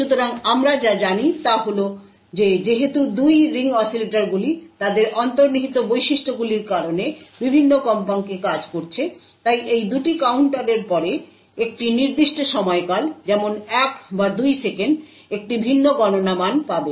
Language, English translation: Bengali, So therefore, what we know is that since the 2 ring oscillators are operating at different frequencies due their intrinsic properties, these 2 counters would after a period of time say like 1 or 2 seconds would obtain a different count value